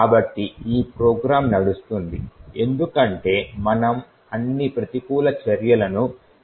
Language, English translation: Telugu, So, this particular program is running because we have disabled all the countermeasures